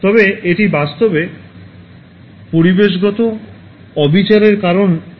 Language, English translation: Bengali, But it is actually causing environmental injustice